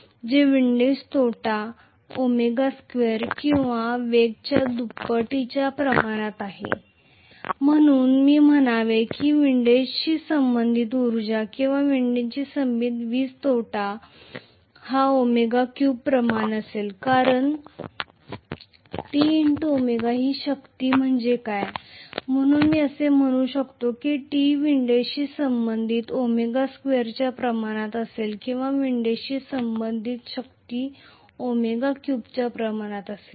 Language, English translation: Marathi, So the windage loss is proportional to omega square or speed square, so I should say power associated with windage or the power loss associated with windage will be proportional to omega cube because T multiplied by omega is what is the power, so I can say that T corresponding to windage will be proportional to omega square or the power corresponding to windage will be proportional to omega cube